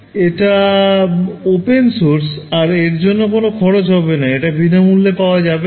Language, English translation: Bengali, So, it is open source and you know you do not have to pay money for, it is free right